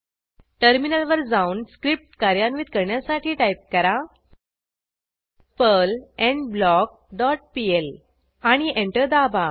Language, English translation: Marathi, Then switch to terminal and execute the script by typing, perl endBlock dot pl and press Enter